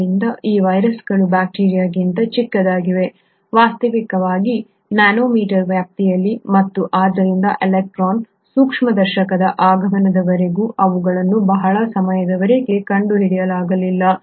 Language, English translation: Kannada, So these viruses are much smaller than bacteria, in fact in the nano meter ranges and hence for a very long time they were not discovered till the advent of electron microscopy